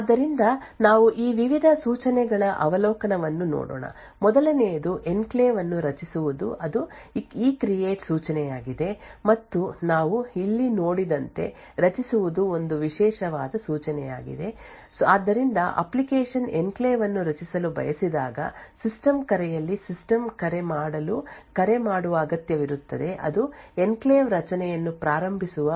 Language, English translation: Kannada, So let us look at an overview of this various instructions, the first one is actually to create the enclave that is the ECREATE instruction and as we see over here create is a privileged instruction so whenever an application wants to create an enclave it would require to call make a system call within the system call there would be an ECREATE instruction which would initialize initiate the enclave creation